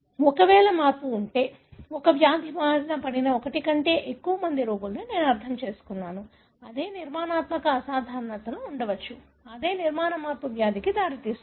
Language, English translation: Telugu, If there is a change and then, I mean more than one patient who is affected by the same disease, there are identical structural abnormalities likely that it is the same structural change that results in the disease